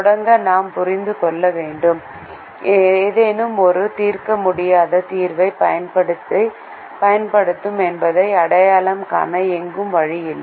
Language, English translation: Tamil, to begin with, we have to understand that we do not have a way to identify that something is going to result in an infeasible solution